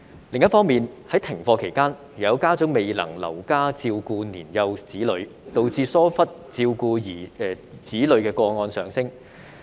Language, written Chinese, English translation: Cantonese, 另一方面，在停課期間，有家長未能留家照顧年幼子女，導致疏忽照顧子女的個案上升。, On the other hand during class suspension periods some parents were unable to stay home to take care of their young children resulting in an increase in child neglect cases